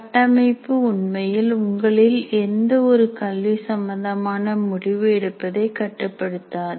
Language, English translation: Tamil, Actually, framework does not restrict any of your academic decision making